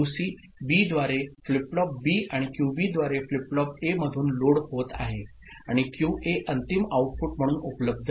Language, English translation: Marathi, QC is getting loaded through B to flip flop B and QB to flip flop A and QA is available as the final output ok